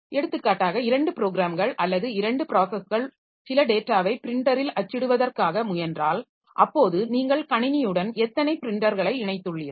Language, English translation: Tamil, For example, if two programs or two processes are trying to print some data onto the printer, so how many printers do we have connected to the system